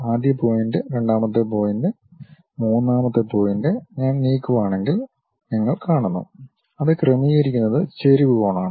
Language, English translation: Malayalam, First point, second point, you see third point if I am moving it adjusts it is inclination angle and done